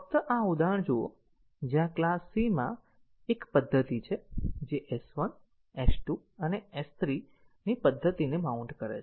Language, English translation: Gujarati, Just look at this example, where the class c has a method which gets a mount to method of S1, S2 and S3